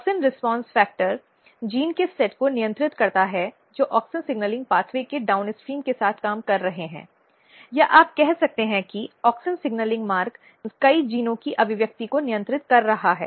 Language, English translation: Hindi, Auxin response factor is a class of transcription factor which regulates set of genes which are working downstream of auxin signalling pathway or you can say that auxin signalling pathway is regulating expression of many genes